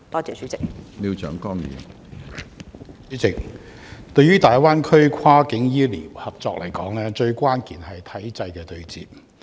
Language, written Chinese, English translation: Cantonese, 主席，大灣區跨境醫療合作，關鍵在於體制的對接。, President the key to the success of cross - boundary health care cooperation in the Greater Bay Area lies in the bridging of the systems